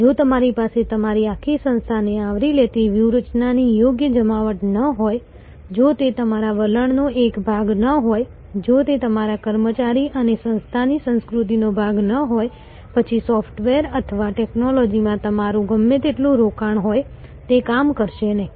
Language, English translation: Gujarati, If you do not have a proper deployment of strategy that covers your entire organization, if it is not a part of your attitude, if it is not part of your employee and organization culture, then whatever maybe your investment in software or technology, it will not work